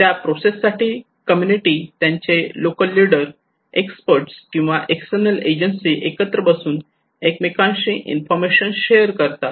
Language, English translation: Marathi, In that process, the community and the local leaders along plus the experts or the external agencies they should sit together, they should share informations with each other